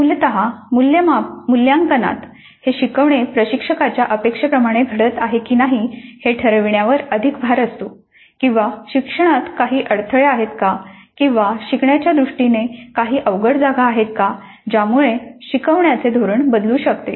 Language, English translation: Marathi, In formative assessment the interest is more on determining whether the learning is happening the way intended by the instructor or are there any bottlenecks in learning or any sticky points in learning which require some kind of a mid course correction, some kind of a change of the instructional strategies